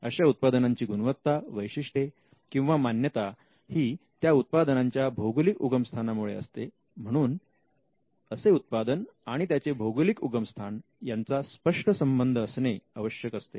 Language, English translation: Marathi, The qualities characteristics or reputation of that product should be essentially due to the place of origin and there has to be a clear link between the product and it is original place of production